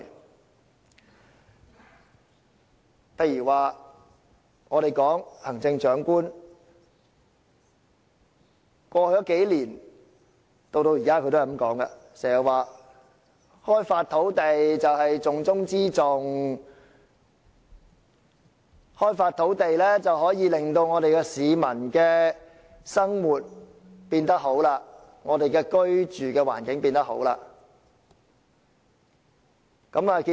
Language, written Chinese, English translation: Cantonese, 舉例而言，過去數年，行政長官經常說開發土地是重中之重，開發土地可以令市民的生活變得更好，令我們的居住環境變得更好。, For example over the past few years the Chief Executive has always said that land development is the most important of all priorities and that land development will enable the people to have a better life and improve their living environment